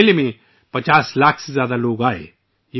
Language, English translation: Urdu, More than 50 lakh people came to this fair